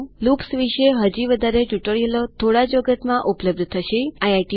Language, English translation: Gujarati, There will be more tutorials on loops shortly So keep watching